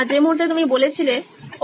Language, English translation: Bengali, moment that you said, Oh